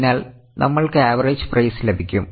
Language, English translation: Malayalam, So, we will get the average price